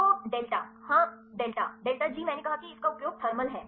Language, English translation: Hindi, So, delta yes delta delta G did I use this yes is thermal